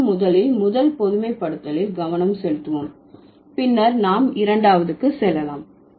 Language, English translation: Tamil, So, now let's focus in the first generalization first, then we'll go to the second